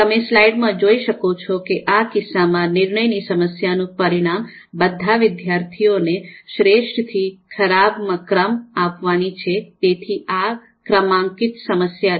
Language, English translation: Gujarati, So you can see here in the slide decision problem here in this case is to rank all students from best to worst, so this being a ranking problem